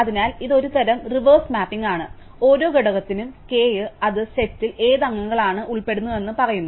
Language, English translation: Malayalam, So, it is a kind of reverse mapping, for each component k it tells us which members of the set belong to that